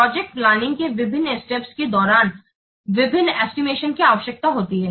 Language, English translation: Hindi, So, during different phases of the project, different estimates are required